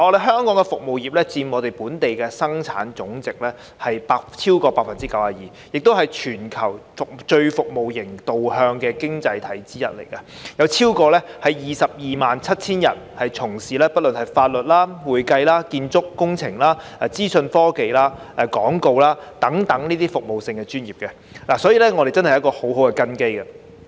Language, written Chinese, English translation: Cantonese, 香港的服務業佔本地生產總值超過 92%， 亦是全球最服務型導向的經濟體之一，有超過 227,000 人從事法律、會計、建築工程、資訊科技、廣告等服務性專業，所以我們真的有很好的根基。, Hong Kongs service industries account for over 92 % of our Gross Domestic Product and that has also made Hong Kong one of the most service - oriented economies in the world . More than 227 000 people are engaging in various professional services industries namely legal accounting construction engineering information technology advertising and so on . For that reason we surely have a very solid foundation